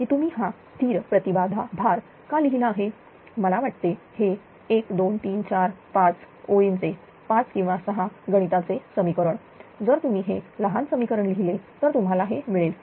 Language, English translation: Marathi, That why it is constant impedance load you write that I think it will take 1 2 3 4 5 lines 5 or 6 mathematical equation if you write it to a small equation you will get it this one